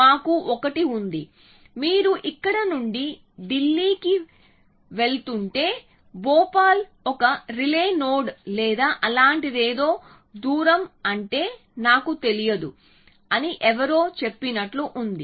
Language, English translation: Telugu, All we have is 1, it is like somebody tells you that if you are going from here to Delhi, then Bhopal is a relay node or something like that I do not know what distance is